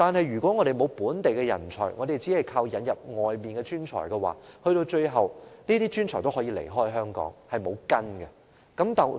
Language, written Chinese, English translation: Cantonese, 如果香港缺乏本地人才，只能依靠從外地引入專才，這些無根的專才最後也可能離開香港。, In the absence of local talents Hong Kong can merely rely on the admission of talents from abroad . However these rootless talents might leave Hong Kong in the end too